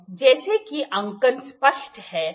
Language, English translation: Hindi, So, as the marking is clear